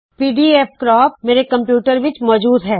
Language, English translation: Punjabi, pdfcrop is already installed in my system